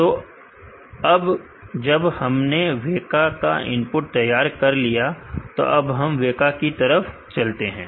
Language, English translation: Hindi, Now, that we have created the input WEKA let us move on to WEKA